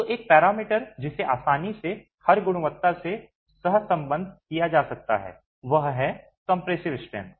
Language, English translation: Hindi, So, one parameter that can easily be correlated to every quality is compressive strength